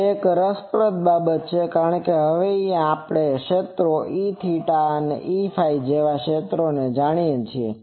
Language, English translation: Gujarati, That is an interesting thing because now we know the fields, E theta and H phi